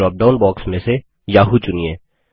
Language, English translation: Hindi, Select Yahoo from the drop down box